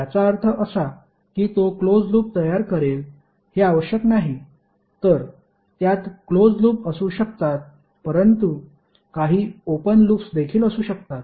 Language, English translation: Marathi, That means that it is not necessary that it will create a close loop, So it can have the close loops but there may be some open loops also